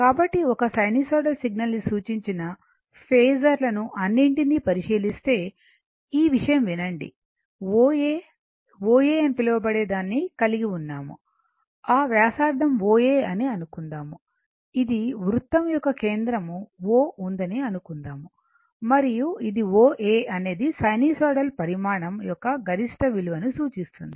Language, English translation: Telugu, Up is there will come to that, but just listen ah just listen that; suppose , you have you suppose you have some your what you call that O A, O A is that radius suppose O A, suppose this this is center of the circle O and this is a O A represent that your maximum value of a sinusoidal quantity